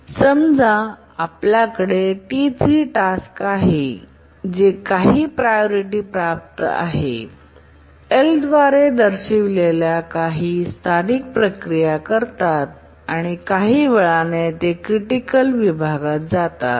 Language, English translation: Marathi, We have a task T3 which is of low priority, does some local processing denoted by L and then after some time it gets into the critical section